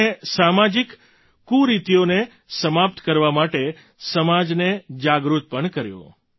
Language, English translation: Gujarati, He also made the society aware towards eliminating social evils